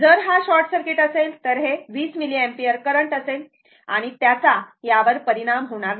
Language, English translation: Marathi, If this is short circuit this 20 milliampere current, it has no effect on this one